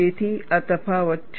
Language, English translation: Gujarati, So, this is the difference